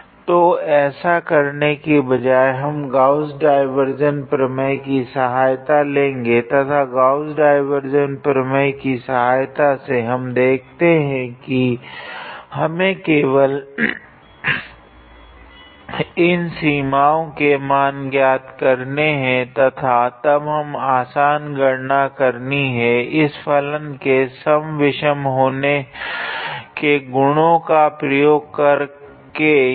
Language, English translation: Hindi, So, instead of doing that, we took the help of Gauss divergence theorem and with the help of Gauss divergence theorem, we can be able to see that we just have to calculate these limits and then do this simple calculation use the odd and even property of this function here